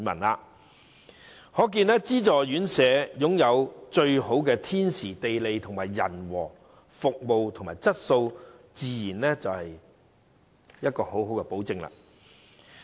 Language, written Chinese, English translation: Cantonese, 由此可見，資助院舍擁有最好的天時、地利、人和，其服務及質素自然有保證。, It is evident that subsidized homes are provided with the most favourable conditions on various fronts so it is only natural that their services and quality are guaranteed